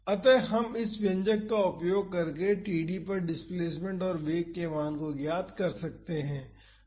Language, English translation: Hindi, So, we can find the values of displacement and velocity at td by using this expression